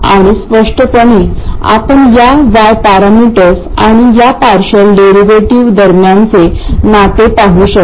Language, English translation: Marathi, And clearly you can see the correspondence between these Y parameters and these partial derivatives